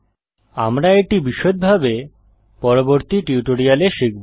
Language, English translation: Bengali, We will see this in detail in later tutorials